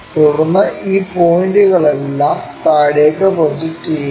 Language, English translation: Malayalam, Then, project all these points down